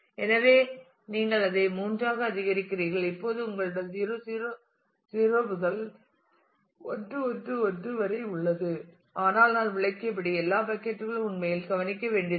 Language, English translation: Tamil, So, you increase that to 3 and now you have 0 0 0 to 1 1 1, but as I have explained not all buckets really need to look into